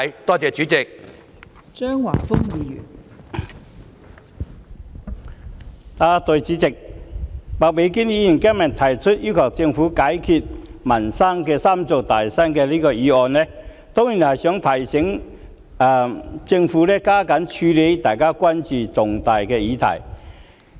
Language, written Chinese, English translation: Cantonese, 代理主席，麥美娟議員今天提出"要求政府解決民生'三座大山'"的議案，當然是想提醒政府加緊處理大家關注的重大議題。, Deputy President the motion on Requesting the Government to overcome the three big mountains in peoples livelihood proposed by Ms Alice MAK today certainly seeks to remind the Government of stepping up its efforts in addressing major issues of public concern